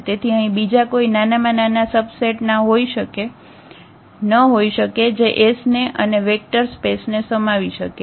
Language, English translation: Gujarati, So, there cannot be any smaller subset of this which contain s and is a vector space